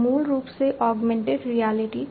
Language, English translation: Hindi, So, this is basically the overall history of augmented reality